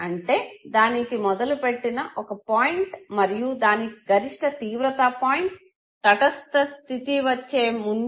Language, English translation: Telugu, So it will have a start point and it will have the maximum intensity point before it comes to the neutral point